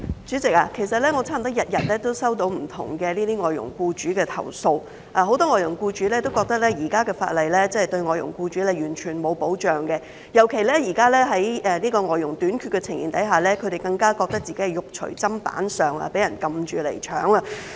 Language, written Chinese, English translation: Cantonese, 主席，其實我差不多天天都接獲不同外傭僱主的投訴，很多外傭僱主都覺得，現時的法例對外傭僱主毫無保障，尤其在現時外傭短缺的情況下，他們更加覺得自己"肉隨砧板上"，被人"撳住嚟搶"。, President actually I receive complaints from different FDH employers almost every day . Many of them consider that the existing legislation offers no protection to them at all especially at present when there is a shortage of FDHs . They simply feel as if they are being held over a barrel or being robbed